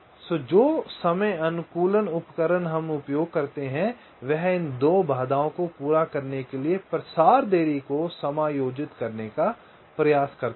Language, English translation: Hindi, so the timing optimization tools that we use, they try to adjust the propagation delays to satisfy these two constraints